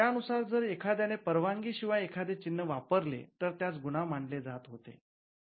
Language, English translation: Marathi, These were the provisions by which if someone used a mark without authorization that was regarded as a criminal offence